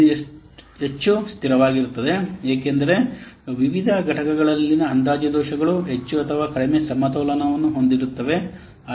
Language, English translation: Kannada, It is more stable because the estimation errors in the various components more or less balanced out